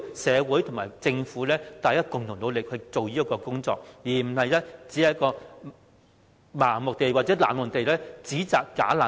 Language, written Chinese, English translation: Cantonese, 社會和政府要共同努力解決這個問題，不應盲目或冷漠地稱聲請者為"假難民"。, Society and the Government have to make concerted efforts to solve this problem . We should not blindly or indifferently refer to the claimants as bogus refugees